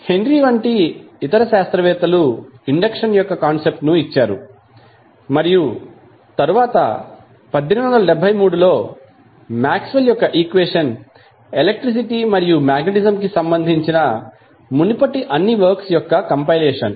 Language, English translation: Telugu, Other scientists like Henry gave the concept of electricity, induction and then later on, in the in the 19th century around 1873, the concept of Maxwell equation which was the compilation of all the previous works related to electricity and magnetism